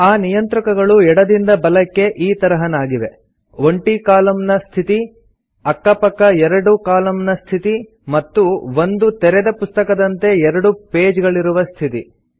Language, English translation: Kannada, The View Layout icons from left to right are as follows: Single column mode, view mode with pages side by side and book mode with two pages as in an open book